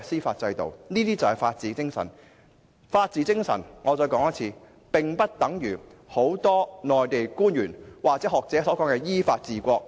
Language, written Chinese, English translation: Cantonese, 我再說一遍，法治精神並不等於很多內地官員或學者所說的依法治國。, Let me reiterate the rule of law is different from governing the country in accordance with law as many Mainland officials or academics put it